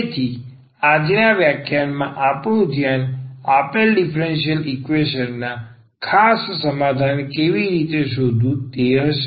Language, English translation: Gujarati, So, in today’s lecture, our focus will be how to find a particular solution of the given differential equation